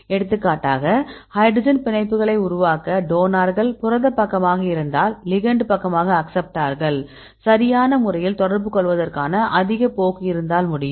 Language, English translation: Tamil, For example they can make the hydrogen bonds, if the donor is the protein side right then ligand side if have acceptor then they will high tendency to interact right